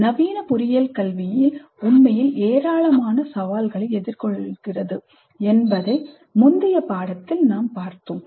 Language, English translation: Tamil, In the early unit also we saw that the modern engineering education is really facing a large number of challenges